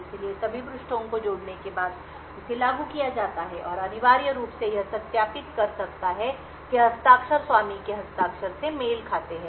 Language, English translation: Hindi, So, it is invoked after all the pages have been added and essentially it could verify that the signature matches that of the owner signature